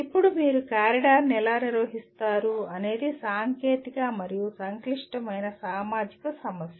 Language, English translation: Telugu, Now how do you manage the corridor is a both a technical and a complex social problem